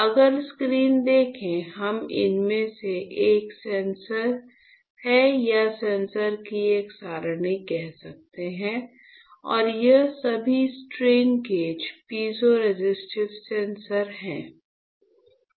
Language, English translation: Hindi, So, if you see the screen, what you see is; this is of this is one sensor or you can say an array of sensors right and these are all strain gauges, piezoresistive sensor